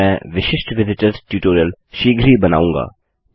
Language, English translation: Hindi, Ill make a unique visitors tutorial soon